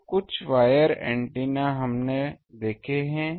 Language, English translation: Hindi, So, some of the wire antennas we have seen